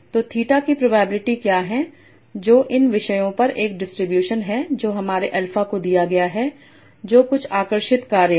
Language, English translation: Hindi, So what is the probability of theta that is a distribution over these topics given my alpha that is some kind of function